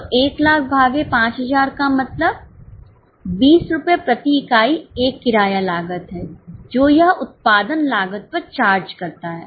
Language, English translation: Hindi, So, 1 lakh upon 5,000 means 20 rupees per unit is a rent cost which is charged on the production cost